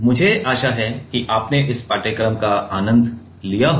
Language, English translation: Hindi, I hope you have enjoyed this course